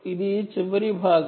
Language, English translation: Telugu, see, this is the last part